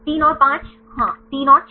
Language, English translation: Hindi, 3 and 5 yes 3 and 6